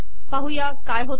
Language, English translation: Marathi, Lets see what happens